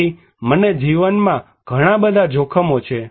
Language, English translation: Gujarati, So, I have so many risks in life